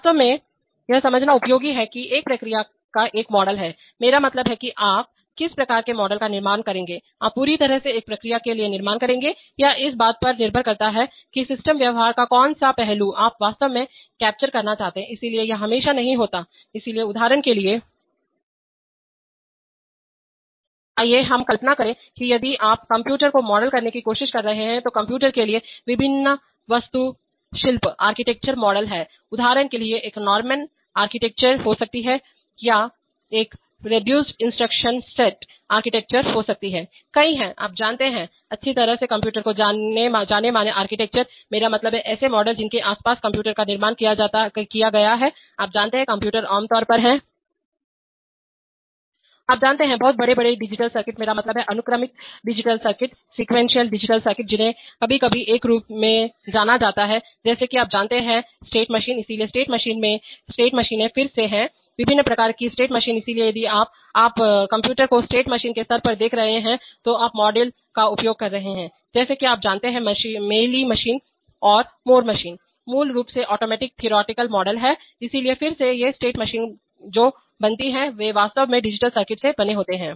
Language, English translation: Hindi, Let us say imagine that if you are trying to model a computer then there are various architectural models for a computer, for example there may be a one Norman architecture, there may be a reduced instruction set architecture, there are several, you know, well known architectures of computers, I mean, models around which computers are constructed, now, you know, computers are typically you know, very large digital circuits, I mean, sequential digital circuits which are sometimes thought of as a, as, you know, state machines, so state machines are again have, there are various kinds of state machines, so if you, when you are seeing the computer at the state machine level then you are using models like, you know, mealy machine, moore machine, basically automatic theoretical models, so again these state machines are made of what, they are actually made of digital circuits